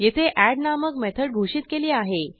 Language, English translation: Marathi, Here we have declared a method called add